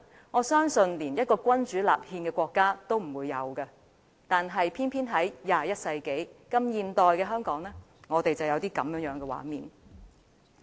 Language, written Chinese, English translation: Cantonese, 我相信，連一個君主立憲的國家也不會出現這種對白，卻偏偏出現在21世紀的香港。, I believe such kind of a dialogue will not appear in a constitutional monarchy . Unfortunately it is found in Hong Kong in the 21 century